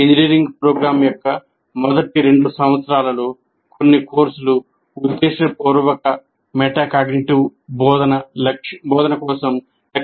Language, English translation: Telugu, A few courses in the first two years of engineering program should be targeted for a deliberate metacognitive instruction